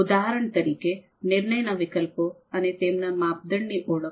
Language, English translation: Gujarati, For example, identifying the decision alternatives and their criteria